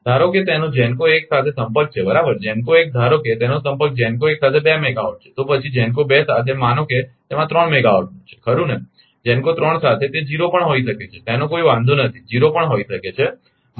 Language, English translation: Gujarati, Suppose it has contact with GENCO 1 right GENCO 1, suppose it has contact say 2 megawatt with GENCO 1, then with GENCO 2 right suppose it has 3 megawatt right GENCO 3 it may be 0 also does not matter right it may be 0 also suppose GENCO 3 0 megawatt and GENCO 4 suppose it has 5 megawatt the total is 10 megawatt right